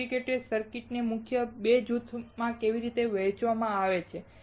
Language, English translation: Gujarati, How integrated circuits are divided into 2 main group